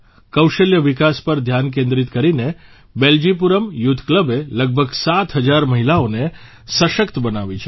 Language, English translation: Gujarati, Focusing on skill development, 'Beljipuram Youth Club' has empowered around 7000 women